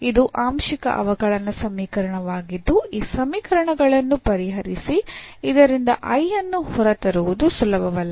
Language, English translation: Kannada, So, this is a partial differential equation which is not very easy to solve to get this I out of this equations